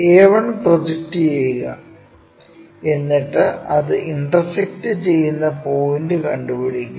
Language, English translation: Malayalam, Project a 1 point, project a 1 point where it is intersecting locate that